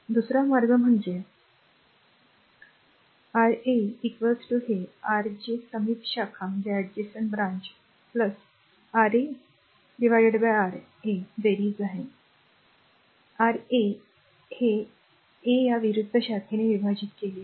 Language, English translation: Marathi, Another way is Ra is equal to this R adjacent branch this sum that adjacent branch R 2 plus R 3, plus R 2 R 3; R 2 R 3 divided by this opposite branch R 1